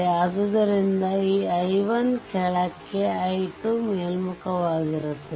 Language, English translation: Kannada, So, this I 1 is downwards right and this small i 2 upwards